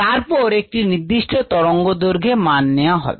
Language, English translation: Bengali, then there is a certain wave length